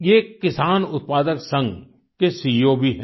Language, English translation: Hindi, He is also the CEO of a farmer producer organization